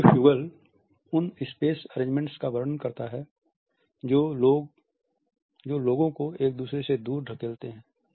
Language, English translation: Hindi, Sociofugal describes those space arrangements that push people apart away from each other